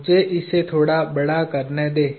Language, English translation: Hindi, Let me magnify this slightly